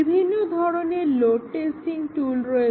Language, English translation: Bengali, Another type of system testing is load testing